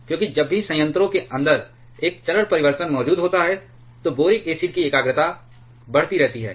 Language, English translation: Hindi, Because whenever there is a phase change present inside the reactor the concentration of boric acid that keeps on increasing